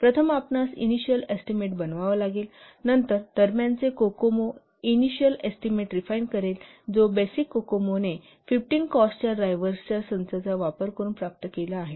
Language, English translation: Marathi, So first you have to make the initial estimate, then the intermediate Kokomo refines the initial estimate which is obtained by the basic Kokomo by using a set of 15 cost drivers